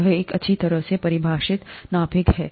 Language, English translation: Hindi, This is a well defined nucleus